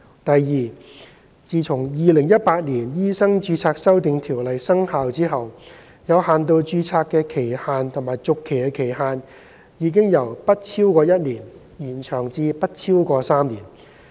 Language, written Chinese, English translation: Cantonese, 第二，自《2018年醫生註冊條例》生效後，有限度註冊的期限和續期期限已由不超過1年，延長至不超過3年。, Secondly upon commencement of the Medical Registration Amendment Ordinance 2018 the validity period and renewal period of limited registration have been extended from not exceeding one year to not exceeding three years